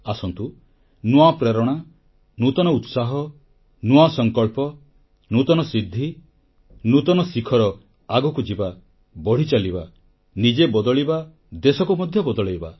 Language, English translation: Odia, Come, imbued with renewed inspiration, renewed zeal, renewed resolution, new accomplishments, loftier goals let's move on, keep moving, change oneself and change the country too